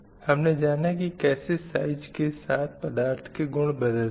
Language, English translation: Hindi, And how the properties are material getting changed with respect to size we learned